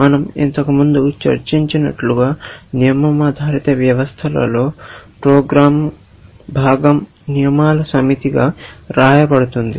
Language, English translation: Telugu, As we discussed earlier, in rule based system, the program part, if you want to call it, is written as a set of rules